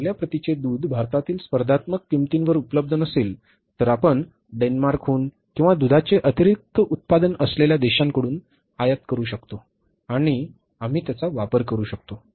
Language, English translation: Marathi, Milk if it is not available in the good quality milk is not available at the competitive prices in India, you can even import from Denmark or maybe from other countries which are the milk surplus countries and we can make use of that